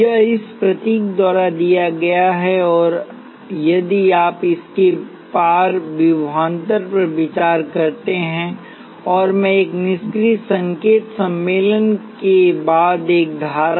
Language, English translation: Hindi, It is given by this symbol; and if you consider the voltage across it, and I – a current following a passive sign convention